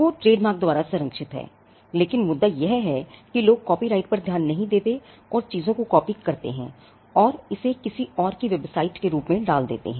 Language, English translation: Hindi, Logo is protected by trademark, but the point is the copyright notices, that people do not and mass copy things and put it and pass it off as somebody else’s website